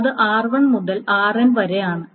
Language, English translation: Malayalam, So R1 up to RN